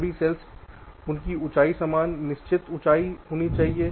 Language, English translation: Hindi, their heights must be same fixed height